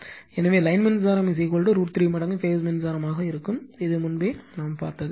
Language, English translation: Tamil, So, line current will be is equal to root 3 times phase current, this we have seen earlier also